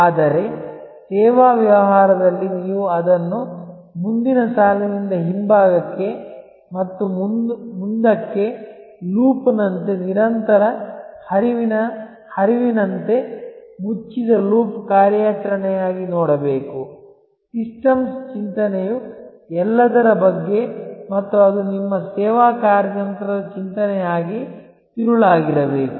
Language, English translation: Kannada, But, in service business you must see it as a continuous flow from the front line to the back and forward as a loop as a closed loop operation; that is what systems thinking is all about and that should be the core of your service strategy thinking